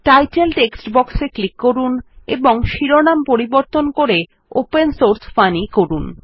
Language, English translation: Bengali, Click on the Title text box and change the title to Opensource Funny